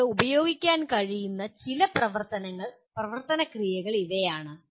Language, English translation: Malayalam, These are some of the action verbs that you can use